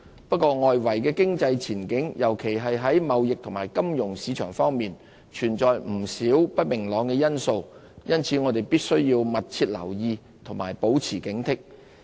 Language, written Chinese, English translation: Cantonese, 不過，外圍經濟前景，尤其在貿易和金融市場方面，存在不少不明朗因素，因此我們必須密切留意，保持警惕。, However uncertainties abound in the outlook of the external economy especially in respect of trade and the financial markets which warrant close monitoring and continual vigilance